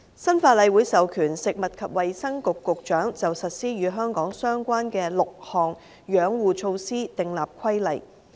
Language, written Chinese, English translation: Cantonese, 新法例會授權食物及衞生局局長，就實施與香港相關的6項養護措施訂立規例。, The new law will authorize the Secretary for Food and Health to make regulations to implement six conservation measures relevant to Hong Kong